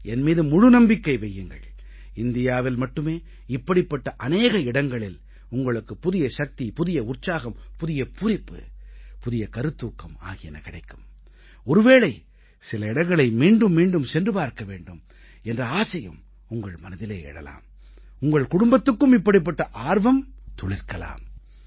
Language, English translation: Tamil, And trust me, there are places within India from where you will come back with renewed energy, enthusiasm, zeal and inspiration, and maybe you will feel like returning to certain places again and again; your family too would feel the same